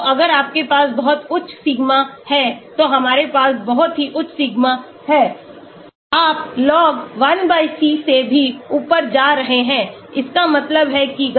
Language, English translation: Hindi, So, if you have very high sigma we have very high sigma you have log 1/c also going up that means the activity